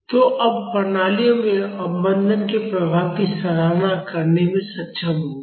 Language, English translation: Hindi, So, now you would be able to appreciate the effect of damping in systems